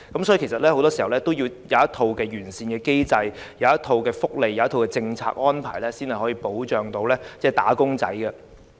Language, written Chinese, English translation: Cantonese, 因此，很多時候，也要制訂一套完善機制、福利及政策安排，才能保障"打工仔"。, But this is simply impossible in actual circumstances . Hence it is often necessary to formulate a set of comprehensive mechanisms benefits and policy arrangements to protect workers